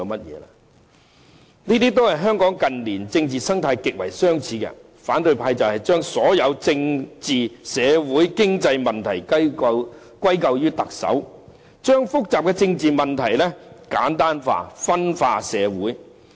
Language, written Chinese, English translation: Cantonese, 這與香港近年的政治生態極為相似，反對派將所有政治、社會和經濟問題歸咎於特首，將複雜的政治問題簡單化，分化社會。, This is strikingly similar to the political ecology in Hong Kong in recent years in which the opposition blames every political social and economic problem on the Chief Executive and simplifies complicated political issues in order to disunite the city